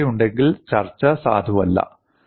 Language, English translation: Malayalam, If there is curvature, the discussion is not valid